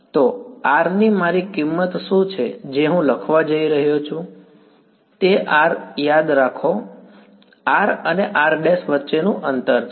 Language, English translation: Gujarati, So, what is my value of R that I am going to write; so, R remember is the distance between r and r prime